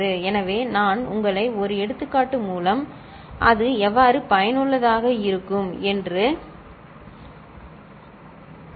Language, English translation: Tamil, So, I shall take you through an example and see how it is useful